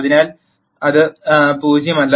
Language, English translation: Malayalam, So, this is not 0